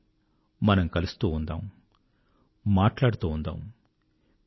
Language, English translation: Telugu, Let us keep on meeting and keep on talking